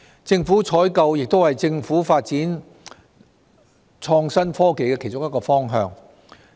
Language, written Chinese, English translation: Cantonese, 政府採購亦是政府發展創新科技的其中一個方向。, The Governments procurement practice is also one of its directions for the development of IT